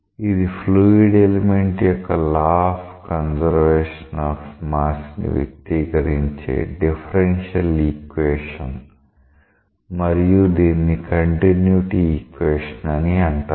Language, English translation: Telugu, So, this is a differential equation expressing the law of conservation of mass for a fluid element and this is known as continuity equation